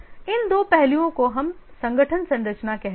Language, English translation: Hindi, These two aspects we call as the organization structure